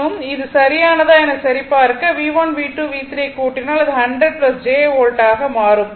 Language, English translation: Tamil, 6 degree volt right for checking if you made if for checking if you add V1 V2 V3 it will become 100 plus j volt